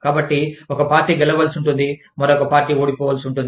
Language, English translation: Telugu, So, one party will have to win, and the other party will have to lose